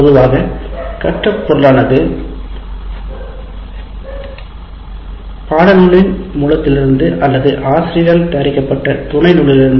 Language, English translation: Tamil, So learning material either it is chosen from a source or supplemented by material prepared by the instructor